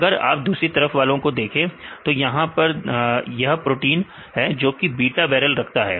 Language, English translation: Hindi, We second type here if you see this is the protein which contains the beta barrel right